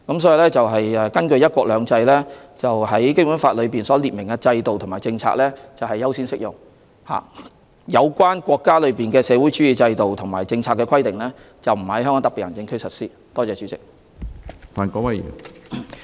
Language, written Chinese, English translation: Cantonese, 所以，根據"一國兩制"，《基本法》列明的制度和政策是優先適用的，而有關國家的社會主義制度和政策的規定，是不會在香港特別行政區實施。, So according to the principle of one country two systems the systems and policies set out in the Basic Law should have a priority to be adopted in the HKSAR and the socialist systems and policies of our country will not be implemented in the HKSAR